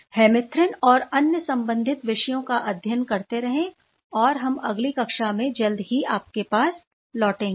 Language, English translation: Hindi, So, keep studying hemerythrin and other related topics and we will get back to you soon in the next class